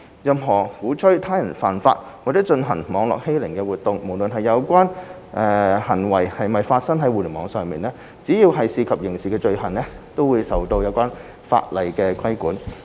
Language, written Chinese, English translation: Cantonese, 任何鼓吹他人犯法或進行網絡欺凌活動，無論有關行為是否發生在互聯網上，只要涉及刑事罪行，均受有關法例規管。, Any acts inciting others to break the law or engage in cyber - bullying as long as they involve criminal offences are regulated by the relevant laws regardless of whether they were committed online